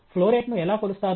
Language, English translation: Telugu, How do you measure a flowrate